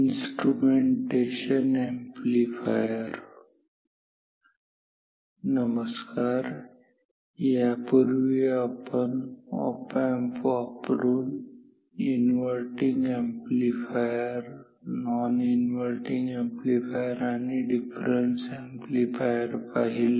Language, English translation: Marathi, Keywords amplifiers, opams Hello, previously we have studied inverting, non inverting and difference amplifier using op amp